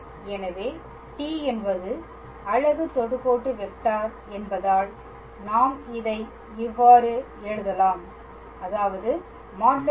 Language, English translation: Tamil, So, since t is a unit tangent vector we can write mod of t as 1